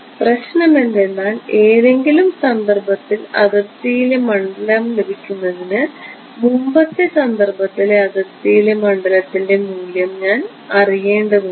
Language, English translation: Malayalam, The problem is that in order to get the field on the boundary at some time instance I need to know the value of the field on the boundary at a previous instance